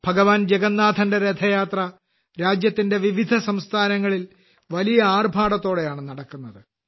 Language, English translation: Malayalam, Lord Jagannath's Rath Yatra is taken out with great fanfare in different states of the country